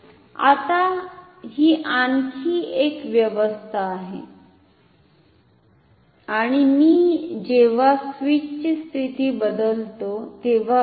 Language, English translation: Marathi, Now so, this is another arrangement and observe that when I change the position of the switch ok